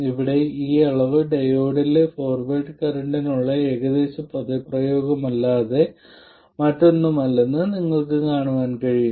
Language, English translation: Malayalam, You can also see that this quantity here is nothing but the approximate expression for the forward current in the diode